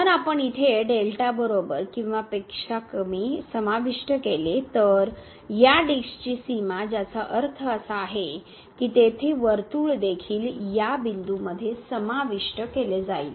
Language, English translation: Marathi, If we include here less than equal to delta, then the boundary of this disc that means, the circle will be also included in the point here